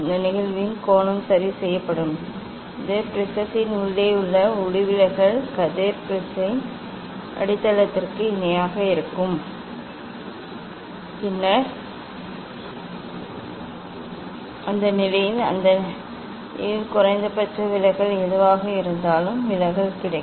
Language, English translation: Tamil, This angle of incidence will be adjusted such that the refracted ray inside the prism will be parallel to the base of the prism, then in that condition under that condition will get the whatever deviation that is the minimum deviation